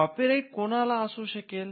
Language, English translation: Marathi, Now, who can have a copyright